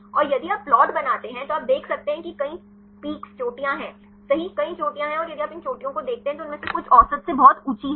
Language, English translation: Hindi, And if you make the plot you can see there are several peaks right, several peaks and if you see these peaks some of them are very high from the average